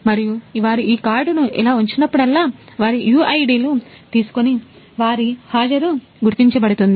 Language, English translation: Telugu, And whenever they will place this card like this so, their UIDs will be read and their attendance will be marked